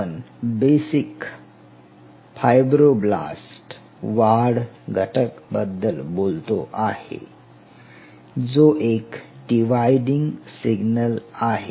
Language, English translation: Marathi, So, here we are talking about basic fibroblase growth factor, which is a known dividing signal